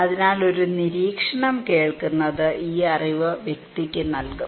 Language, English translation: Malayalam, So, hearing an observation will give this knowledge to the person